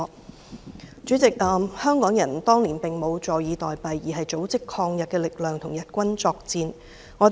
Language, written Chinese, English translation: Cantonese, 代理主席，香港人當年並無坐以待斃，反而組織抗日力量，與日軍作戰。, Deputy President Hong Kong people did not sit still and wait for death back then . Instead they organized anti - Japanese forces to fight against the Japanese armies